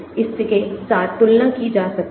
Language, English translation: Hindi, it can be compared with that